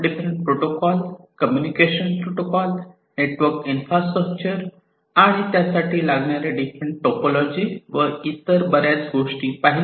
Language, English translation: Marathi, We talked about the different protocols, the communication protocols, the network infrastructure, and so on the different types of topologies that could be used, and so on